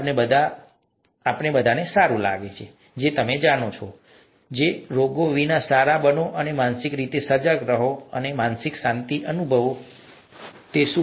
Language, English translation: Gujarati, We all, all of us would like to feel good you know, be good without diseases, mentally be alert, mentally be mentally feel at peace and so on